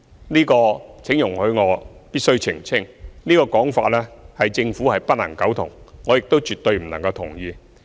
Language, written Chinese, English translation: Cantonese, 就這一點，我必須澄清：對於這個說法，政府不能苟同，我亦絕對不能同意。, Regarding this point I must make a clarification The Government cannot agree with such assertion and I can never agree with it also